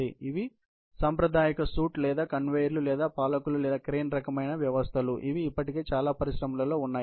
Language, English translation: Telugu, These are over and above, the conventional shoots or conveyors or rulers or gantry kind of systems, which are already in place in most of the industries